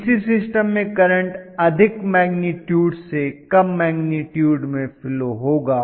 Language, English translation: Hindi, In DC systems the current will flow from a higher magnitude to the lower magnitude